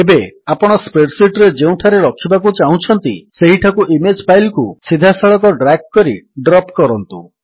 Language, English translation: Odia, Now drag and drop the image file directly into your spreadsheet wherever you want to place it